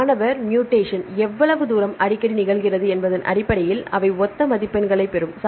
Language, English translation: Tamil, They will derive a like scores on the basis of how frequent the mutation occurs